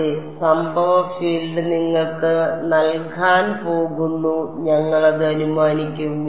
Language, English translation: Malayalam, Yeah incident field is going to be given to you we will assume that